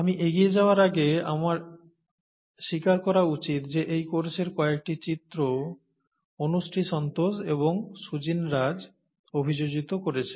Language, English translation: Bengali, Before I go forward, I should acknowledge that some of the figures in this course have been adapted by Anushree Santosh and Sujin Raj